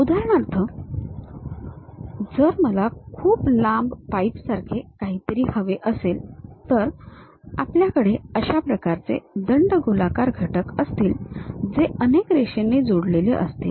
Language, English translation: Marathi, For example, if I would like to have something like a very long pipe, then we will have that kind of cylindrical elements many connected line by line